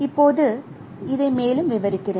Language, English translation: Tamil, So let me describe it further